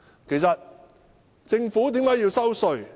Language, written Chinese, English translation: Cantonese, 其實政府為甚麼要徵收稅項？, Why does the Government have to levy tax?